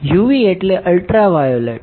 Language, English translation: Gujarati, UV stands for ultraviolet